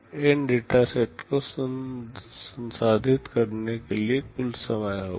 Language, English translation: Hindi, This will be the total time to process N data sets